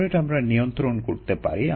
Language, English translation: Bengali, the flow rate is under our control